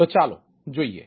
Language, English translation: Gujarati, right, so it is